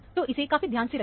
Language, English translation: Hindi, So, be careful about that